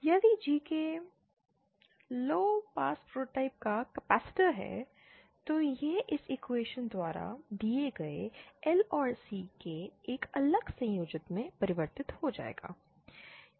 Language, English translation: Hindi, If gk is a capacitor of low pass prototype then it will be converted into a shunt combination of L and C given by this equation